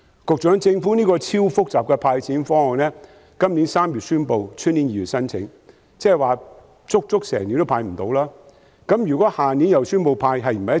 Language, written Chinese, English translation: Cantonese, 局長，政府這項極其複雜的"派錢"方案在今年3月宣布，明年2月才開始接受申請，即是整整1年仍未能"派錢"。, Secretary the Government announced this extremely complicated cash handout scheme in March this year but will only accept applications in February next year which means that it takes more than a year before money can be handed out